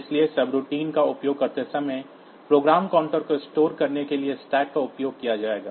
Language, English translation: Hindi, So, when using subroutines, the stack will be used to store the program counter